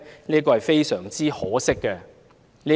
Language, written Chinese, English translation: Cantonese, 這是非常可惜的。, This is most regrettable